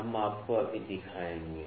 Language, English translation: Hindi, We will just show you right now